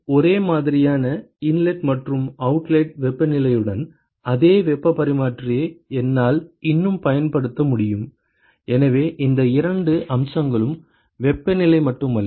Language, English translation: Tamil, I could still use the same heat exchanger with similar inlet and outlet temperatures, so what really matters is these two aspects not just the temperature